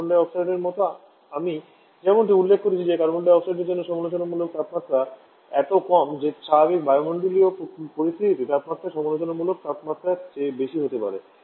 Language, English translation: Bengali, Like for Carbon dioxide and just mentioned that for Carbon dioxide critical pressure temperature is so low that under normal atmospheric condition the temperature in higher the critical temperature